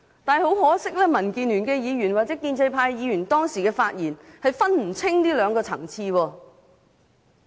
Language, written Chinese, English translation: Cantonese, 但是，很可惜，民建聯的議員或建制派議員當時的發言不能分清這兩個層次。, Regrettably however Members of the Democratic Alliance for the Betterment and Progress of Hong Kong or the pro - establishment Members cannot distinguish between the two matters